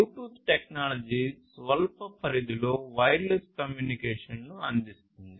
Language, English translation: Telugu, So, we have this Bluetooth technology which offers wireless communication in short range